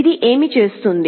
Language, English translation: Telugu, What does this do